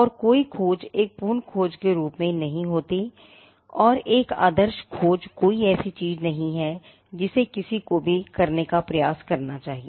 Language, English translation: Hindi, And there is no search thing as a perfect search, and a perfect search is not something which anybody should even endeavor to do